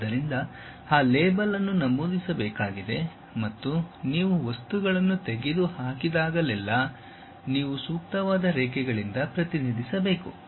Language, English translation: Kannada, So, that label has to be mentioned and whenever you remove the material, you have to represent by suitable lines